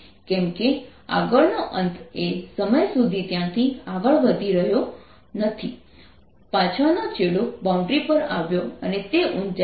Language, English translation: Gujarati, because the front end could not move that far by the time the rear end [cam/came] came to the boundary and its height is four millimeters